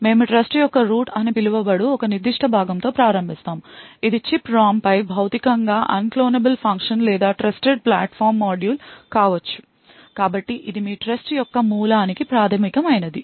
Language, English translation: Telugu, We start with a particular component known as the root of the trust this could be a Physically Unclonable Function on chip ROM or a Trusted Platform Module so this is the basic of the root of your trust